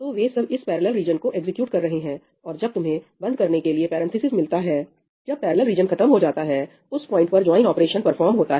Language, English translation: Hindi, So, all of them execute this parallel region and when you encounter this parenthesis close, when the parallel region ends, at that point of time a join operation is performed